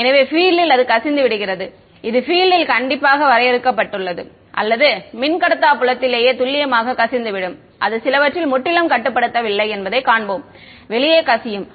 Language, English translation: Tamil, So, the field does leak out it is not the case that the field is strictly confined within the dielectric the field does leak out exact we will see it is not confined purely inside some of it does leak out